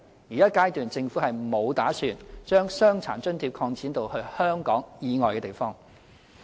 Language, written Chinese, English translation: Cantonese, 現階段政府沒有打算把傷殘津貼擴展至香港以外的地方。, At this juncture the Government has no plan to extend DAs portability to cover places outside Hong Kong